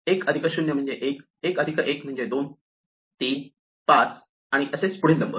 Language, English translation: Marathi, So, 1 plus 0 is 1, 1 plus 1 is 2, 3, 5 and so on